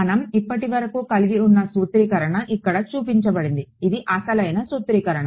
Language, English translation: Telugu, Right so in the formulation that we had so, far which is shown over here this was a original formulation